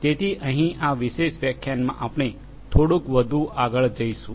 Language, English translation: Gujarati, So, here in this particular lecture, we are going to go little bit further